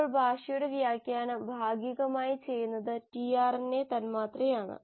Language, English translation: Malayalam, Now that interpretation of the language is done in part, by the tRNA molecule